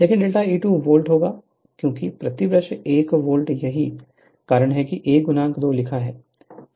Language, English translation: Hindi, So, but delta E will be 2 volt because, per brush 1 volt that is why, it is written 1 into 2